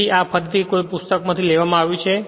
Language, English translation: Gujarati, So, this again I have taken from a book